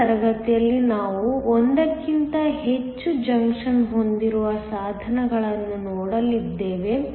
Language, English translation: Kannada, In next class, we are going to look at devices where we have more than 1 junction